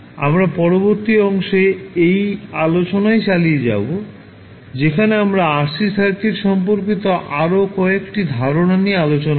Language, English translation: Bengali, We continue this journey in the next lecture where we will discuss few more concepts related to rc circuits